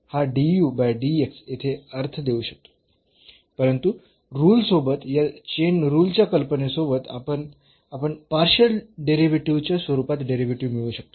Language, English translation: Marathi, So, this du over dx make sense here, but with the rule with the idea of this chain rule we can get that derivative in terms of the partial derivatives here